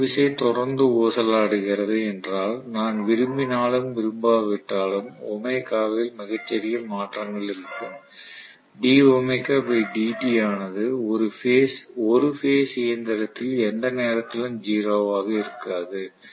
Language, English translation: Tamil, So if the torque is continuously oscillatory whether I like it or not there will be a very little small changes in omega d omega by dt will not be 0 at any point in time in a single phase machine